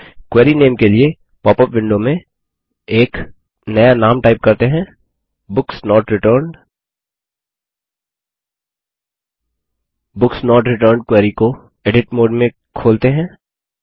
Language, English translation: Hindi, In the popup window for query name, let us type in a new name: Books Not Returned Let us now open the Books Not Returned query in edit mode